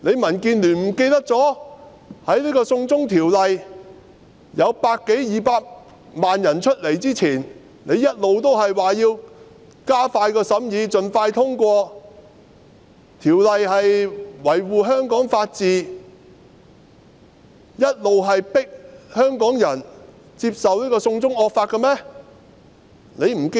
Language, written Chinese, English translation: Cantonese, 民建聯忘記了在百多二百萬名市民出來遊行反對"送中條例"之前，他們不是一直說要加快審議法案，讓法案盡快通過，維護香港法治，一直迫香港人接受"送中惡法"的嗎？, Has DAB forgotten that before over 1 million to 2 million people taking to the streets in opposition to the China extradition law they had all along suggested that the deliberations on the Bill be expedited to enable the Bill to be passed expeditiously to uphold the rule of law in Hong Kong continuously forcing Hongkongers to accept the draconian China extradition law?